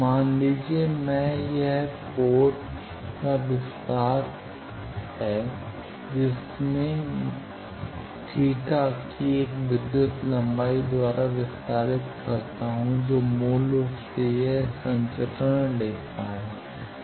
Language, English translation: Hindi, Suppose, I these extension is every port I extend by an electrical length of theta that basically it is a transmission line